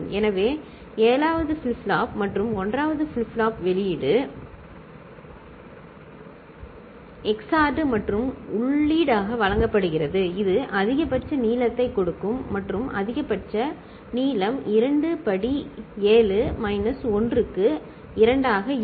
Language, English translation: Tamil, So, 7th flip flop and the 1st flip flop output right, XORed together and fed as input, it will give a maximal length and maximum maximal length will be 2 to the power 7 minus 1